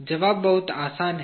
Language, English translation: Hindi, The answer is very simple